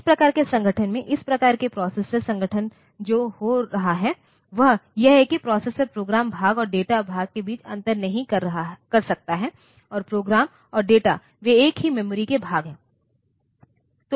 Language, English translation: Hindi, In this type of organization, this type of processor organization what is happening is that the processor is cannot distinguish between the program part and the data part and the program and data they are part of the same memory